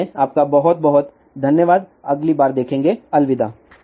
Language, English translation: Hindi, So, thank you very much, see you next time, bye